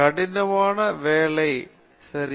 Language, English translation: Tamil, Hard work okay